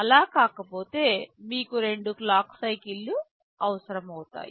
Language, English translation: Telugu, But if it is not so, you will be requiring 2 clock cycles